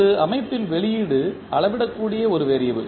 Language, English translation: Tamil, An output of a system is a variable that can be measured